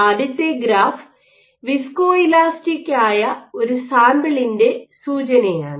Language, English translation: Malayalam, So, this is an indication of a sample which is viscoelastic